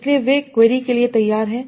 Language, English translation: Hindi, So, they are related to the query